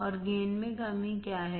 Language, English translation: Hindi, And what is the gain decrease